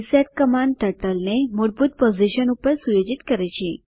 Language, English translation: Gujarati, reset command sets Turtle to its default position